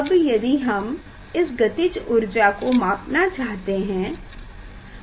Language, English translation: Hindi, what is that kinetic energy, if you want to measure